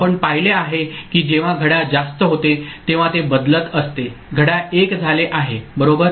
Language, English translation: Marathi, We have seen that when clock becomes high it is changing like this clock has become 1 right